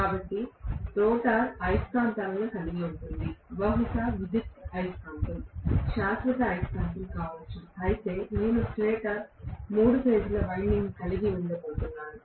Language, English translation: Telugu, So, the rotor will consist of magnets, maybe electromagnet, maybe permanent magnet, whereas I am going to have the stator having the three phase winding